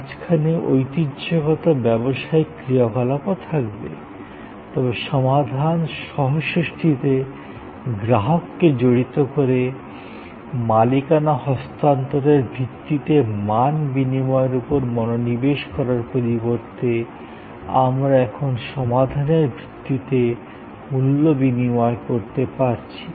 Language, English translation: Bengali, There will be the traditional business functions in the middle, but by involving customer in co creating the solution, instead of focusing on transfer of ownership based value exchange, we now the value exchange based on solution